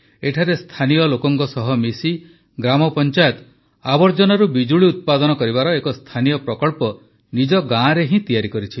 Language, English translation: Odia, Here the Gram Panchayat along with the local people has started an indigenous project to generate electricity from waste in their village